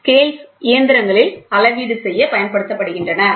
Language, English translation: Tamil, So, the scales are used for measurement in machines